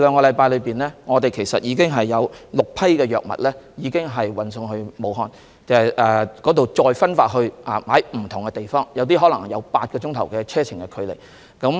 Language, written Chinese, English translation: Cantonese, 在過去兩星期，已經有6批藥物運送至武漢，在那裏再分派至不同地方，有些地方可能需要8小時車程才到達。, In the past two weeks six batches of medicines have been delivered to Wuhan and then distributed to different places . It may take eight hours by road to reach some places